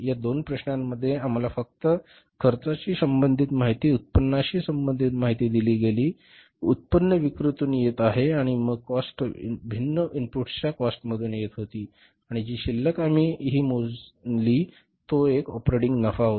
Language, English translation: Marathi, In these two problems, we were given only the cost related information and income related information, income was coming from sales and then the cost was coming from the different inputs of the cost and the balance be calculated was the operating profit